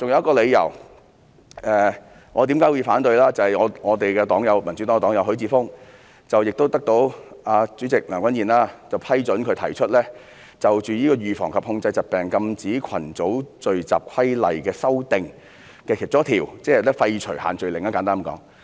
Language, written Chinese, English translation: Cantonese, 我還有一個反對的理由，就是民主黨的黨友許智峯議員獲大會主席梁君彥批准，就《預防及控制疾病規例》提出一項修訂，簡單而言，就是廢除限聚令。, There is another reason for my objection . My fellow member of the Democratic Party Mr HUI Chi - fung has proposed an amendment to the Prevention and Control of Disease Regulation which has been approved by President Andrew LEUNG . Simply put his amendment aims to seek a revocation of the social gathering restrictions